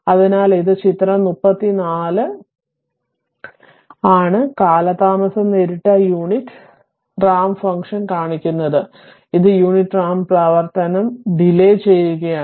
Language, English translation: Malayalam, So, this is the figure 34 shows the delayed unit ramp function, this is your delayed unit ramp function right